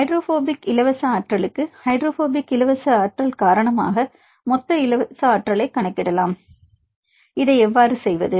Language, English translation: Tamil, For the hydrophobic free energy; how to calculate the total free energy due to hydrophobic free energy